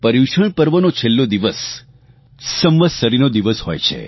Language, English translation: Gujarati, The last day of ParyushanParva is observed as Samvatsari